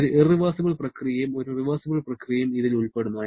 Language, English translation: Malayalam, It comprises of one irreversible and a reversible process